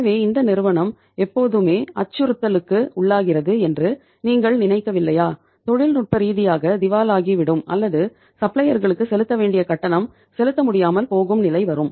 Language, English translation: Tamil, So do you not think that this company is always under the threat, under the constant threat of becoming technically insolvent of or defaulting while making the payment to their suppliers